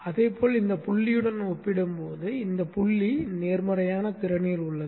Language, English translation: Tamil, Likewise this point is at a positive potential compared to this point